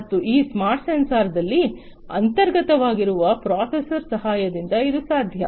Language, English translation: Kannada, And this would be possible with the help of the processor that is inbuilt into this smart sensor